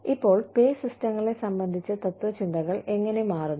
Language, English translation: Malayalam, Now, how are philosophies, regarding pay systems changing